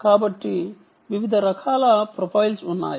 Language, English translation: Telugu, so there were different types of profiles